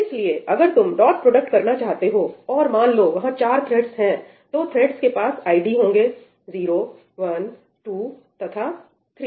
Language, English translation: Hindi, So, if you want to do a dot product, and, let us say that there are four threads, the threads will have id 0, 1, 2 and 3